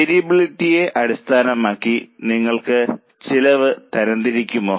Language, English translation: Malayalam, You classify the cost based on variability